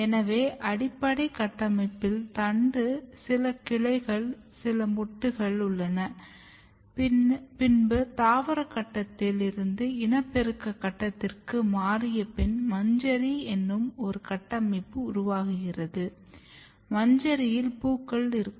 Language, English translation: Tamil, But if you look the basic structures so in basic structure we have stem, some branches, some buds then later on after transition from vegetative phase to reproductive phase, we have some structure called inflorescence and in inflorescence we have flowers so, these are the shoot systems part